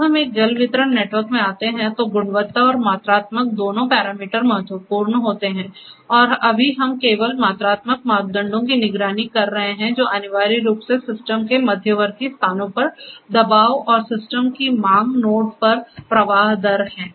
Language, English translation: Hindi, When we come to a water distribution network, both quality and quantitative parameters are important and right now we are monitoring only the quantitative parameters which are essentially the pressure at intermediate locations of the system and the flow rate at the demand nodes of the system